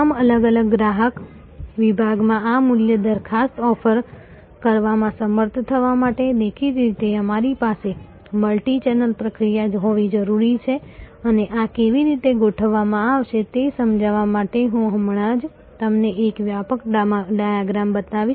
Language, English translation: Gujarati, To be able to offer this value proposition across all the different customer segments; obviously, we have to have a multichannel process and I just now show you a comprehensive diagram to explain how this will be deployed